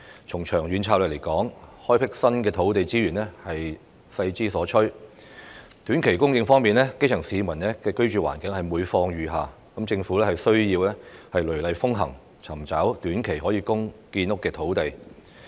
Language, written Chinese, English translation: Cantonese, 從長遠角度來看，開闢新的土地資源是勢之所趨；而在短期供應方面，基層市民的居住環境每況愈下，政府需要雷厲風行，尋找短期內可供建屋的土地。, From a long - term perspective the development of new land resources is the trend; as for short - term supply the living environment of grass - roots people is deteriorating so the Government should take bold action to identify land for housing construction within a short time